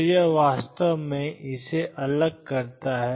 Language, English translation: Hindi, So, it actually differentiates it